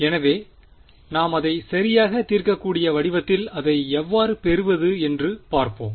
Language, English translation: Tamil, So, let us see how we can get it into the a form that we can solve right